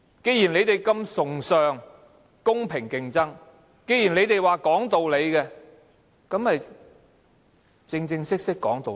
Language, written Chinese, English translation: Cantonese, 既然你們這麼崇尚公平競爭，既然你們說講道理，便正正式式講道理。, Since you people attaches such great importance to fair competition since you say you are sensible people you should all reason things out properly